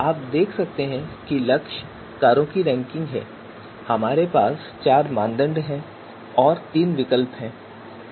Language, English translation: Hindi, So you can see goal ranking of cars and we have four criteria and three alternatives